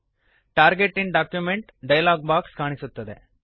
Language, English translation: Kannada, A new Target in document dialog box appears